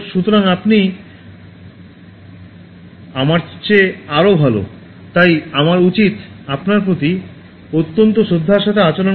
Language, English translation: Bengali, So, you are even better than me, so I should treat you with utmost respect